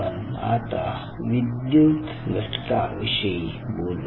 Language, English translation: Marathi, so lets talk about the electrical component